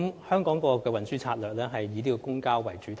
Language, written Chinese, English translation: Cantonese, 香港政府的運輸策略是以公共交通為主體。, The transportation strategy adopted by the Hong Kong Government is public transport - oriented